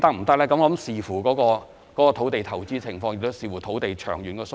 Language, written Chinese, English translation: Cantonese, 這要視乎有關土地的投資情況及土地的長遠需要。, I wish to say that it depends on the investment situation of the site concerned and the long - term land demand